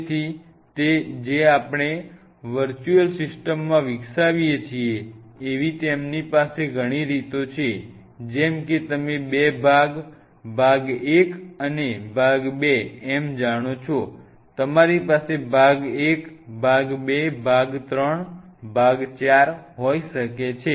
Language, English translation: Gujarati, So, they have multiple ways or the one which we kind of in virtual system develop like you known two part, part 1 part 2 you may have part one, part two, part three, part four